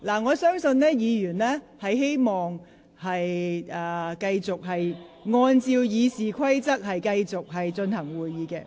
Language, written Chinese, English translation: Cantonese, 我相信委員都希望繼續按照《議事規則》進行會議。, I believe Members wish to proceed with the meeting in accordance with RoP